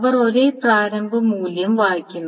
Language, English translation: Malayalam, So they read the same initial value